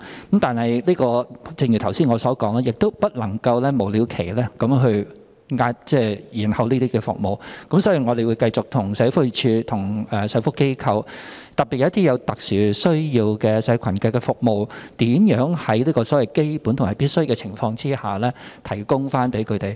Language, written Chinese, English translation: Cantonese, 可是，正如我剛才所說，不能夠無了期延後這些服務，所以我們會繼續與社會福利署及社福機構，特別是那些為有特殊需要的社群服務的機構，看看如何在基本及必需的情況下，向有需要人士提供服務。, However as I said just now these services cannot be delayed indefinitely so we will continue to examine with the Social Welfare Department and social welfare organizations especially those organizations serving the community groups with special needs the provision of basic and necessary services to people in need